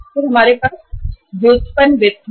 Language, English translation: Hindi, Then we have derivative finance